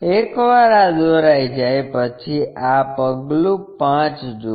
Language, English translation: Gujarati, Once these construction is done, look at this step 5